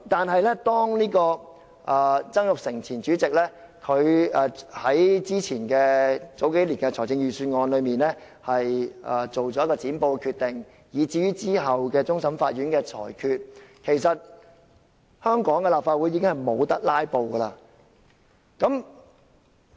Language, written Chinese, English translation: Cantonese, 可是，自前主席曾鈺成數年前在財政預算案辯論中作出"剪布"的決定，以至其後終審法院作出的裁決，其實香港的立法會已經無法"拉布"。, However former President Jasper TSANG made the decision of cutting short such debate on the Budget a few years ago and the Court of Final Appeal subsequently made its ruling on the issue . Since then filibusters have been rendered utterly impossible in the Legislative Council of Hong Kong